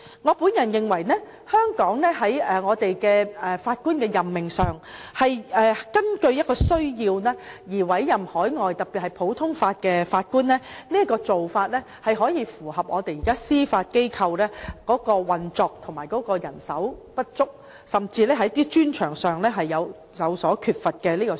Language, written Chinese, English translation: Cantonese, 我認為在法官的任命上，香港是根據需要而委任海外法官，這種做法符合現時司法機構的運作，並可回應人手不足甚至是某些專長有所缺乏的問題。, Insofar as the appointment of Judges is concerned Hong Kong appoints overseas Judges on the need basis . I believe this approach is consistent with the prevailing operation of the Judiciary and addresses the problems of inadequate manpower as well as the lack of expertise in certain areas